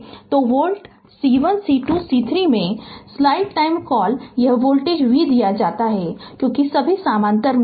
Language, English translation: Hindi, So, at volt C 1 C 2 C 3 what you call this voltage is given v because all are in parallel right